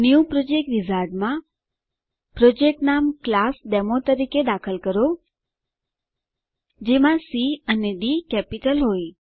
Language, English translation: Gujarati, In the New Project Wizard, enter the Project name as ClassDemo with C and D in capital